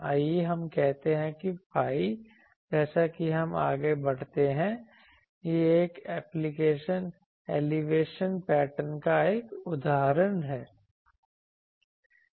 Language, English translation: Hindi, Let us say phi as we move then that gives this is an example of an elevation pattern